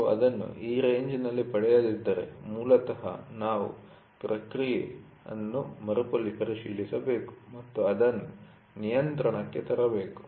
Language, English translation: Kannada, If you do not get it in this range then, it is basically we have to recheck the process and bring it under control